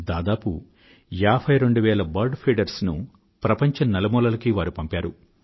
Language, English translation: Telugu, Nearly 52 thousand bird feeders were distributed in every nook and corner of the world